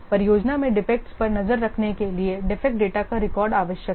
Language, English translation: Hindi, A record of the defect data is needed for tracking defects in the project